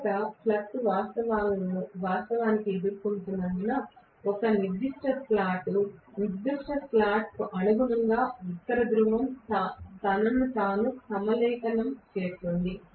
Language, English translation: Telugu, Because first the flux actually faces, you know a particular slot, corresponding to particular slot the North Pole is aligning itself